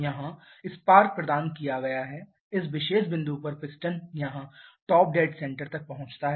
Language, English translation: Hindi, here the spark has been provided at this particular point piston reaches stopped dead center